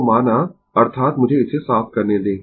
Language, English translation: Hindi, So, let that means, let me clear it